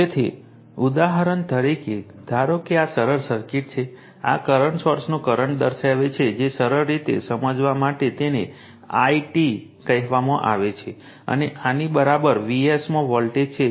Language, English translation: Gujarati, So, for example, suppose this is simple circuit, this current is current sources shown say it is i t for easy understanding, and voltage across v’s beyond this